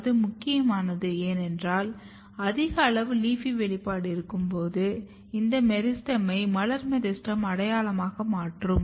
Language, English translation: Tamil, And that is important, because when you have high amount of LEAFY expression here it will convert this meristem to floral meristem identity